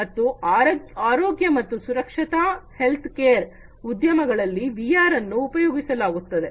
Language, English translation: Kannada, And in health and safety healthcare industries VR are used